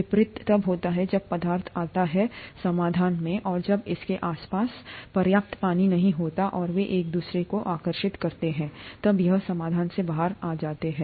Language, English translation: Hindi, The reverse happens when the substance goes into solution, and when there is not enough water surrounding it, and they attract each other, then it falls out of solution